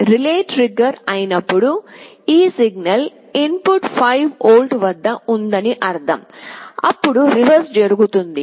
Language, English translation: Telugu, But, when the relay is triggered that means this signal input is at 5 volts then you see the reverse happens